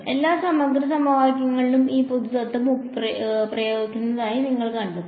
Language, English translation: Malayalam, You will find this general principle applied in all integral equation